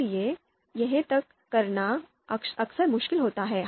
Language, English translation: Hindi, So this is often difficult to decide